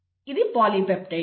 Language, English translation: Telugu, This is a polypeptide